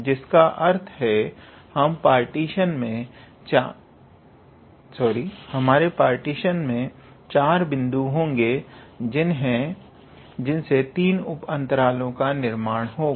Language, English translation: Hindi, So, that means, our partition will have four points and those four points, so we will constitute our how to say three subintervals